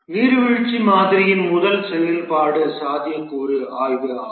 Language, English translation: Tamil, The first activity in the waterfall model is the feasibility study